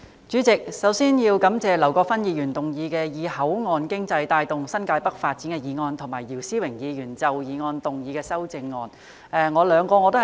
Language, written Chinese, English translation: Cantonese, 主席，首先我要感謝劉國勳議員提出"以口岸經濟帶動新界北發展"的議案，以及姚思榮議員就議案提出修正案。, President first I would like to thank Mr LAU Kwok - fan for proposing the motion on Driving the development of New Territories North with port economy and Mr YIU Si - wing for proposing the amendment